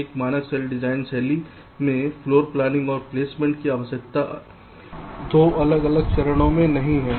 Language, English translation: Hindi, in a standard cell design style, floor planning and placement need not be two separate steps